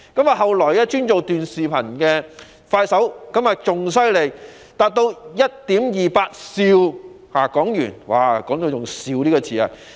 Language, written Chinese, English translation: Cantonese, 其後，專營短視頻的快手更厲害，凍資達 1.28 兆港元，用到"兆"這個單位。, Even larger amounts of funds were subsequently frozen for Kuaishou Technology specializing in short videos with an astronomical amount of HK1.28 trillion being frozen